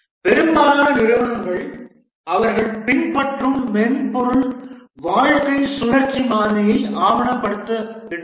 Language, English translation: Tamil, Most organizations, they document the software lifecycle model they follow